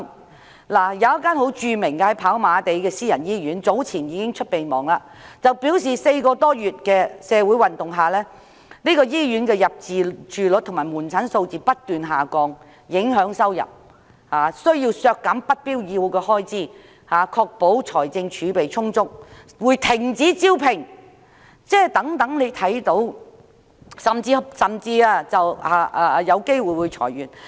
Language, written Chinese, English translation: Cantonese, 跑馬地有一間著名的私家醫院早前發出備忘，表示4個多月來的社會運動令醫院的入住率和求診數字不斷下降，影響收入，因此有需要削減不必要的開支，以確保財政儲備充足，並會停止招聘，甚至有機會裁員。, A well - known private hospital in Happy Valley has earlier issued a memorandum stating that more than four months of social movement have led to a constant decline in hospital occupancy and consultation figures resulting in an impact on revenue and hence it has to cut back on unnecessary expenditure so as to ensure adequate financial reserves . It will stop recruitment as well and may even lay off some staff